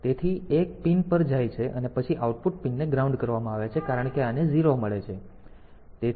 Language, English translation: Gujarati, So, 1 goes to the pin then we output pin is grounded because this gets a 0; so, this is 1